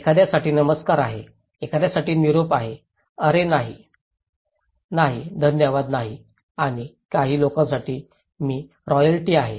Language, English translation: Marathi, For someone is hello, for someone is goodbye, oh no, no, no thank you and for some people, I am royalty